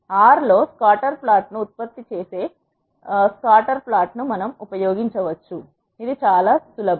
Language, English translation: Telugu, We can use scatter plot generating the scatter plot in R, is quite simple